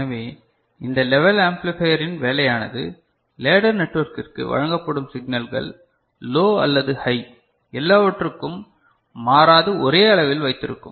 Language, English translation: Tamil, So, this is the job of the level amplifier that signals presented to the ladder network are of same level and constant for low and high so, all of them